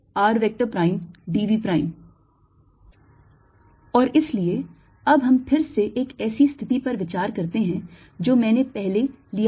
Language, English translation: Hindi, and therefore now consider again a situation i took earlier